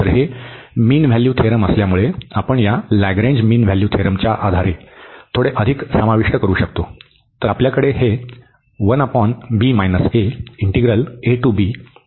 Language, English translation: Marathi, So, having this mean value theorem, we can also include little more based on this Lagrange mean value theorem